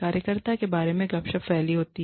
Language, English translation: Hindi, Gossip is spread about the worker